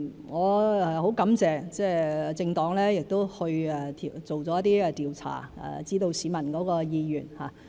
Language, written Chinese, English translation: Cantonese, 我很感謝政黨做了一些調查，讓大家知道市民的意願。, I am really grateful to political parties for conducting surveys to let us know peoples wishes